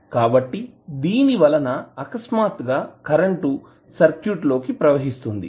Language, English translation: Telugu, So, that is the sudden injection of current into the circuit